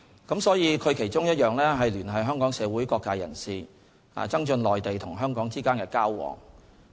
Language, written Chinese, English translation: Cantonese, 中聯辦的其中一項職能是聯繫香港社會各界人士，增進內地與香港之間的交往。, One function of CPGLO is to liaise with various social sectors in Hong Kong with the aim of enhancing exchanges between the Mainland and Hong Kong